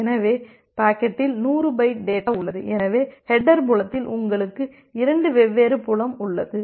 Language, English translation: Tamil, So the packet has 100 byte data, so in the header field you have 2 different field